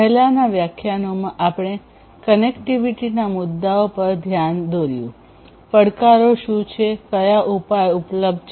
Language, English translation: Gujarati, In the previous lectures, we looked at the connectivity issues; that means, with respect to communication, what are the challenges that are there, what are the solutions that are available